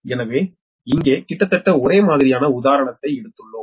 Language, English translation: Tamil, so here just taken almost similar type of example